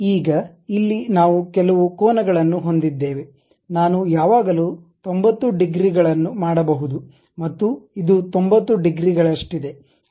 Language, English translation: Kannada, Now, here we have certain angles I can always make 90 degrees and this one also 90 degrees